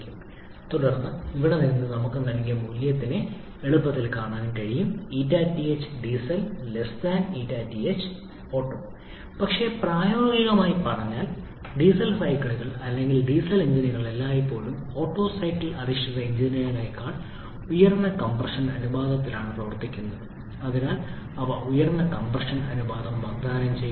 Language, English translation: Malayalam, If the term is greater than 1, then from here we can easily see for the given value of our eta thermal for Diesel will always be less than eta thermal for Otto but practically speaking the Diesel cycles or diesel engines always operate with much higher compression ratio than Otto cycle based engines and therefore they offer higher compression ratio